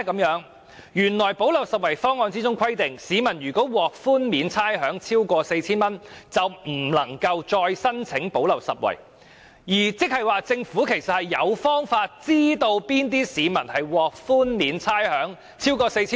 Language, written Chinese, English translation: Cantonese, 原來"補漏拾遺"方案規定，市民獲差餉寬免超過 4,000 元，便不能獲"派錢"，這即是說，政府其實有方法知悉那些市民是否獲豁免差餉超過 4,000 元。, That is because the gap - plugging proposal provides that people receiving rates concession of more than 4,000 will not be eligible for the cash handouts . That is to say the Government has a way to find out who has received rates concession of more than 4,000